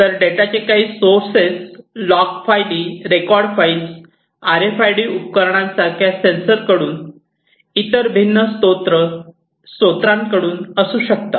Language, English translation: Marathi, So, the sources could be from log files, record files, you know from sensors, from different other sources like RFID devices, etcetera and these could be coming from different sources